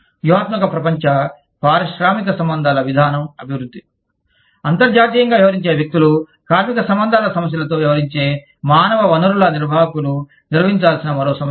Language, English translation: Telugu, Development of strategic global industrial relations policy, is another issue that, people dealing with international, the human resource managers dealing with labor relations issues, deal with